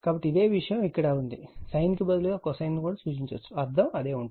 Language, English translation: Telugu, So, same thing is here also instead of sin, we are represent it by cosine, meaning is same right